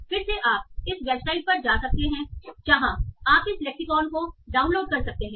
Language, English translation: Hindi, So again you can go to this website where you can download this lexicon